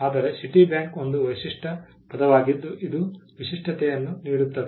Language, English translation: Kannada, But together Citibank is a unique word which gives distinct which has distinctiveness